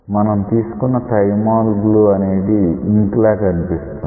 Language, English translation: Telugu, So, you have taken a thymol blue looks like the ink